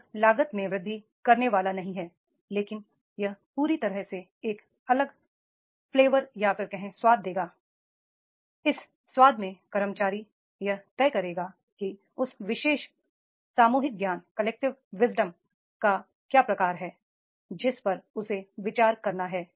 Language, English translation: Hindi, It is not going to increase the cost but it will be given a total, it will give a totally a different flavor and in this flavor the employee will decide that is the what sort of that particular collective wisdom that they have to consider